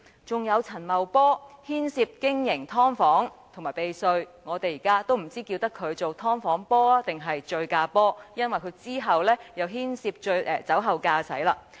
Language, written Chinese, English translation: Cantonese, 還有陳茂波涉及經營"劏房"和避稅，令我們不知應稱呼他為"劏房波"還是"醉駕波"，因為他之後又涉及酒後駕駛。, Besides Paul CHAN was involved in the operation of subdivided units and tax evasion . We really do not know how we should call him Subdivided - units Paul or Drink - driving Paul because he was later involved in a drink - driving incident